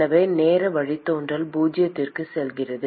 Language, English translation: Tamil, So the time derivative goes to zero